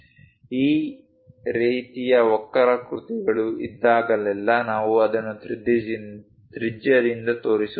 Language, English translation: Kannada, Whenever this kind of curves are there, we show it by radius